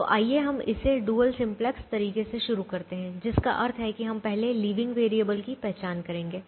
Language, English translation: Hindi, so, but right now we begin by doing it in with a dual simplex way, which means we will first identify the leaving variable